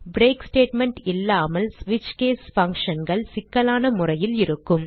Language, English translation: Tamil, without the break statement, the switch case functions in a complex fashion